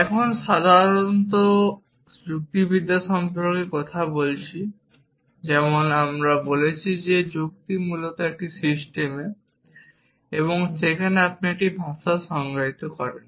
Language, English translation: Bengali, Now, talking about generally about logic as we said that logic is basically a system in which you define a language